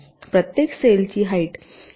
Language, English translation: Marathi, each cells must have the same height all this cells